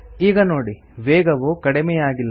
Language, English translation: Kannada, Notice that the speed does not decrease